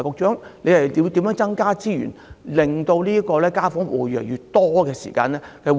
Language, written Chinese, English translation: Cantonese, 此外，局長會否增撥資源，令護士團隊能夠應付越來越多的家訪戶？, In addition will the Secretary allocate additional resources to enabling the nurse team to cope with the increasing number of households in need of home visit services?